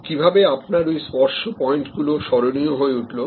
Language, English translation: Bengali, What made that service touch point memorable